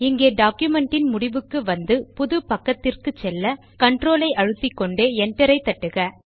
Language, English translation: Tamil, Here let us go to the end of the document and press Control Enter to go to a new page